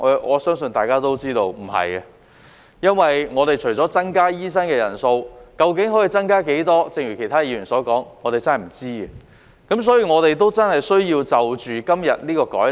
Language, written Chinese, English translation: Cantonese, 我相信大家都知道不是，因為亦需視乎增加的醫生人數為何，而正如其他議員所說，我們真的不知道。, I believe everyone knows the answer is in the negative because it also depends on the number of doctors to be admitted and as other Members said we really have no idea